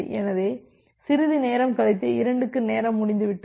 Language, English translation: Tamil, So, after some time, this timeout will for 2 will occur